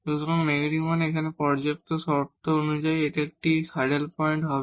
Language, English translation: Bengali, So, negative means, as per the sufficient conditions now, this will be a saddle point